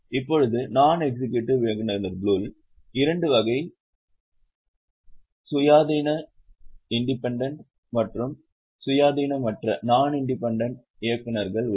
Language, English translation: Tamil, Now within non executive directors also there are two types independent and non independent directors